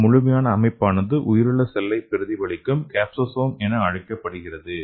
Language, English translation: Tamil, So this complete set up is called as capsosome, so which could mimic like your biological cell